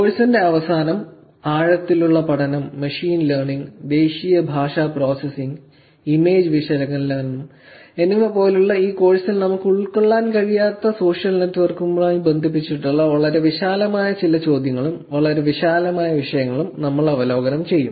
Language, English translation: Malayalam, At the end of the course, we will actually review with some very broad questions and very broad topics which are connected to social networks which we will not able to cover in this course like deep learning, machine learning, national language processing, image analysis